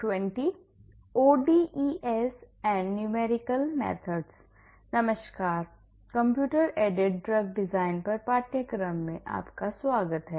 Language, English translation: Hindi, Hello everyone, welcome to the course on computer aided drug design